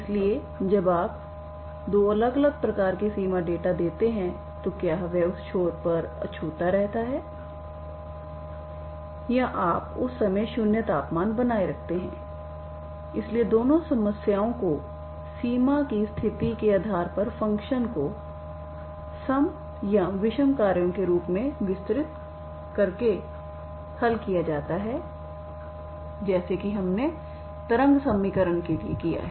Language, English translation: Hindi, So when you give two different types of boundary data so whether it is insulated at that end or you maintain the temperature 0 temperature at that time, so both the problems are solved by just by extension as extend the functions as even or odd functions depending on the boundary condition as we have done for the wave equation